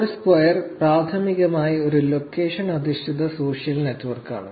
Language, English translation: Malayalam, Foursquare is primarily a location based social network